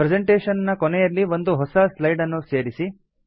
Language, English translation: Kannada, Insert a new slide at the end of the presentation